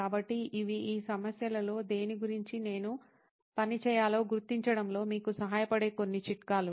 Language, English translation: Telugu, So, these are some tips that can help you in figuring out which of these problems should I work on